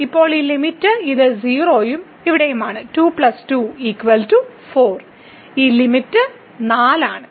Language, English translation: Malayalam, So, this limit is 4